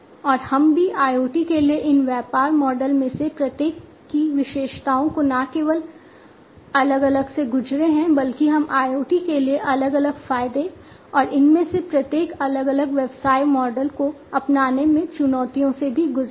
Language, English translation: Hindi, And we have also gone through the different not only the features of each of these business models for IoT, but we have also gone through the different advantages and the challenges in the adoption of each of these different business models for IoT